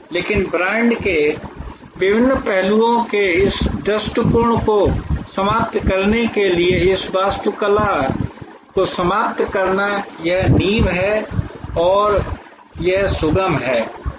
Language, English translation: Hindi, But to conclude this architecture to conclude this view of different aspects of brand, it is foundation and it is deliverable